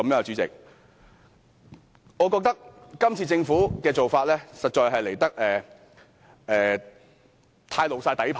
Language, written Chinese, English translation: Cantonese, 主席，我覺得政府這次做法實在過分曝露底牌。, President I think the Government has shown its hole card too early in this incident